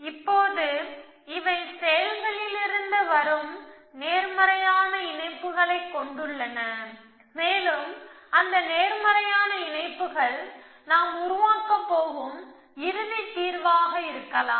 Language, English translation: Tamil, Now, hobbies these have positive links coming from actions and those positive links could be in the final solution that we have going to construct